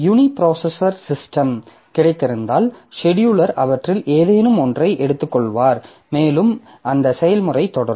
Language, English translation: Tamil, So, if you have got a uniprocessor system, then the scheduler will pick up any of them and that process will continue